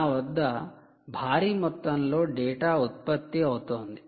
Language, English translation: Telugu, you have a huge amount of data which is being generated